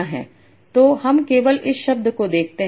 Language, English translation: Hindi, Then let us look at this part